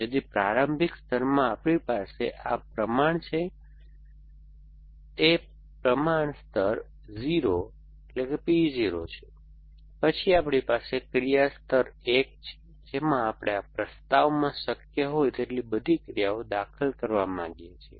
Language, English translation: Gujarati, So, in the, in the initial layer, we have this proportion, so it is a proportion layer 0, P 0 then we have action layer 1 in which we want to insert all actions which are possible in this propositions